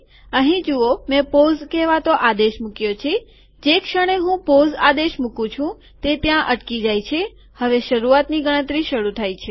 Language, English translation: Gujarati, See here I have put a command called pause, so the moment I put a command pause, it stops there, now the begin enumerate starts